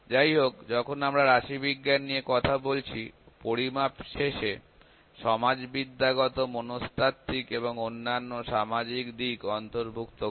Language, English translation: Bengali, However, when we talk about statistics the measurement include sociological, psychological and many other social aspects by end